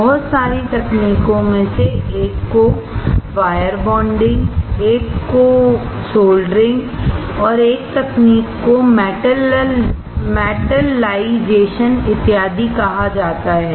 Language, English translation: Hindi, One of the techniques is called wire bonding, other technique is soldering another technique is called metallization and so on and so forth